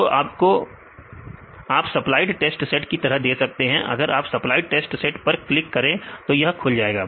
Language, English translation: Hindi, So, you can give it as test set supplied test set; if you click on supplied test set this will be open and then this will be enabled